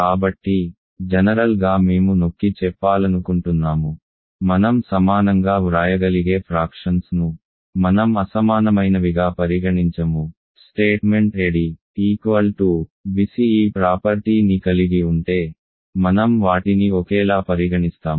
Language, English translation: Telugu, So, in general we want to insist that, I do not consider any fractions that we may be able to write as equal as unequal, if they are have this property that ad is equal to bc, I will consider them as same